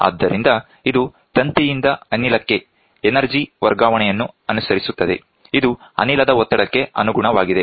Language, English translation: Kannada, Hence, it follows the energy transfer from the wire to gas is proportional to the gas pressure